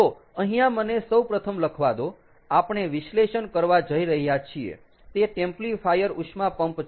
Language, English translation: Gujarati, ok, so let me first write down here: what we are going to analyze is the templifier heat pump